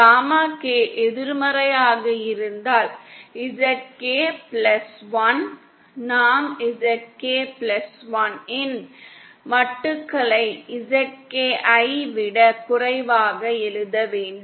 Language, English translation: Tamil, If gamma K is negative, then ZK plus one is, I should write the modulars of ZK + 1 is lesser than ZK